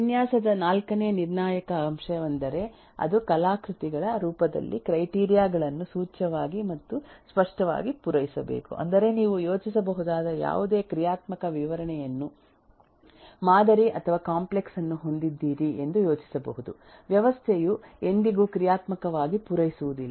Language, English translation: Kannada, The fourth critical factor for a design is it must implicitly or explicitly satisfy the criteria in the form of artifacts which mean that eh you whatever functional specification you think of however sample or have a complex, a system will never meet exactly those functional specification